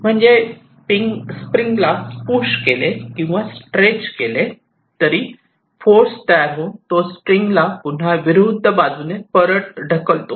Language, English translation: Marathi, so so whenever i pull or push a spring, or force is exerted which tends to move it back in the other direction, right